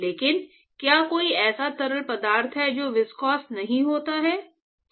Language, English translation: Hindi, But is there a fluid which is not viscous